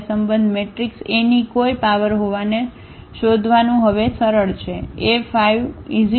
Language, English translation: Gujarati, So, it is easy now to find having this relation any power of the matrix A